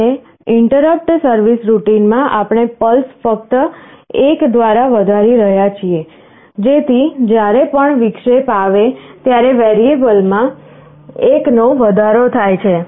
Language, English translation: Gujarati, And in the interrupt service routine, we are just increasing “pulses” by 1; so that whenever interrupt comes the variable gets incremented by 1